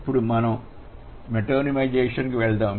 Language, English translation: Telugu, Now let's move to metonymization